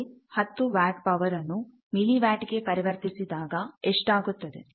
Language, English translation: Kannada, So, the same 10 watt of power will be in milli watt